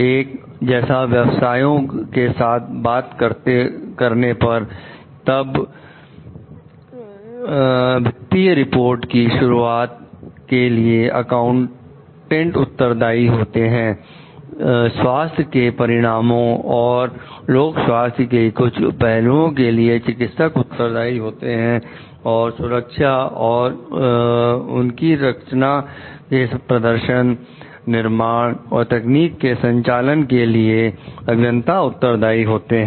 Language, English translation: Hindi, With talking of like professions, then accountants are responsible for the accuracy of financial reports; physicians are responsible for the health outcome and certain aspects of the public health; engineers are responsible for safety and performance in their design, manufacture and operation of technology